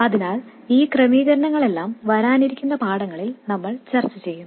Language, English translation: Malayalam, So we will discuss all these arrangements in the forthcoming lesson